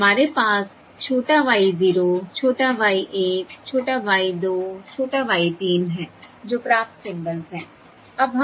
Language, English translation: Hindi, small Y one, small Y two, small Y three, which are the received symbols